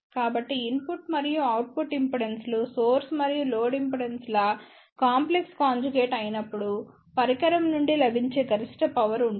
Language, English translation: Telugu, So that means, maximum available power from a device would be when input as well as output impedances are complex conjugate of the source and load impedances